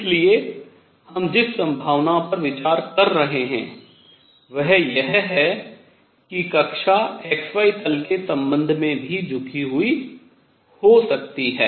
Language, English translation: Hindi, So, the possibility we are considering is that the orbit could also be tilted with respect to the xy plane